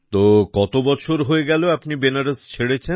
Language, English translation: Bengali, So how many years have passed since you left Banaras